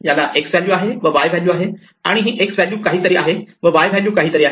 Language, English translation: Marathi, It has an x value and a y value, and this x value is something and the y value is something